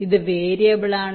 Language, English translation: Malayalam, this is variable